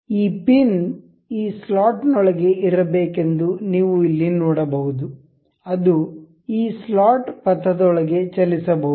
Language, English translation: Kannada, You can see here the the this pin is supposed to be within this slot that can be moved within this slotted the slot path